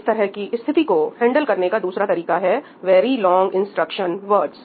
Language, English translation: Hindi, another way of handling the same situation is VLIW Very Long Instruction Words